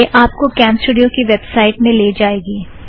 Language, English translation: Hindi, This will open the CamStudio website